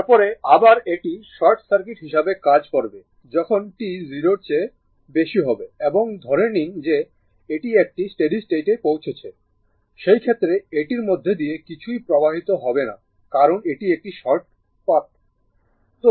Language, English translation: Bengali, Then again your then again it will act as your what you call as short circuit at t greater than 0 and assume that it is it is reached to a steady state, a steady state condition right in that case also that it is short nothing will be flowing through this because this is this is a short circuit path